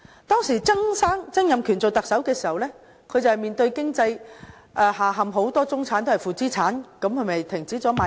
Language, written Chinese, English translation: Cantonese, 當時，曾蔭權出任特首時，社會面對經濟下陷，很多中產變成負資產，於是政府停止賣地。, The economy collapsed during Donald TSANGs tenure as the Chief Executive and many members of the middle class became homeowners in negative equity causing the Government to halt land sales